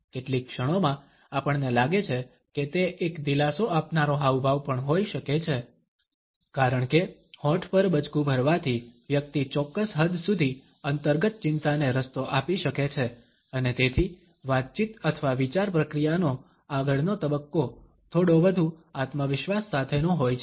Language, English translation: Gujarati, At moments we find that it can be a comforting gesture also, because by biting on the lips the person is able to give vent to the underlying anxiety to a certain extent and the next phase of conversation or thought process can therefore, be slightly more confident